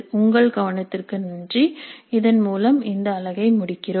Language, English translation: Tamil, Thank you for your attention and with this we conclude this unit